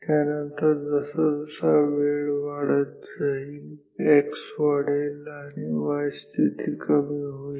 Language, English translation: Marathi, Then as time increases x position will increase and y position will decrease